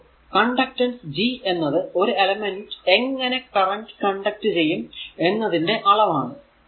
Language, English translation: Malayalam, So, conductance G is a measure of how well an element will conduct your current